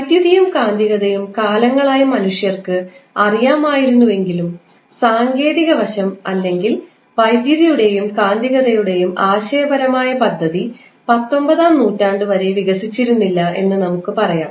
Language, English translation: Malayalam, So, although the electricity and magnetism was known to mankind since ages but the the technical aspect or we can say the conceptual scheme of that electricity and magnetism was not developed until 19th century